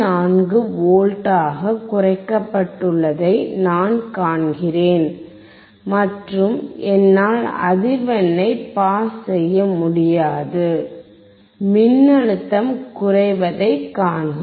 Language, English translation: Tamil, 84V, and I cannot pass the frequency, see the voltage is decreased